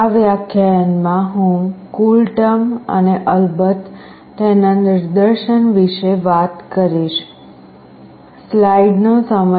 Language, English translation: Gujarati, In this lecture, I will talk about CoolTerm and of course, the demonstration